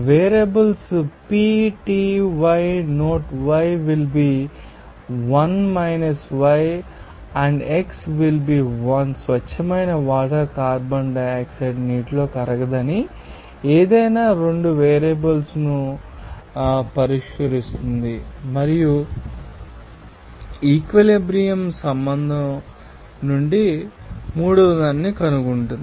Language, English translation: Telugu, Variables P, T, yA note yB will be = 1 yA and xA will be = 1 pure water assuming here carbon dioxide is insoluble in water does fix any two variables and find the third from the equilibrium relationship